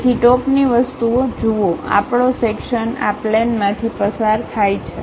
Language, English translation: Gujarati, So, look at the top thing, our section pass through this plane